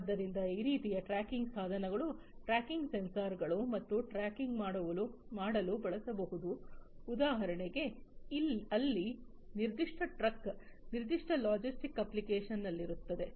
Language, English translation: Kannada, So, this kind of you know these tracking devices tracking sensors and, so on, can be used to track for example, where the different trucks are in a particular logistic application